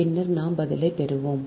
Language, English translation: Tamil, right, then we will get the answer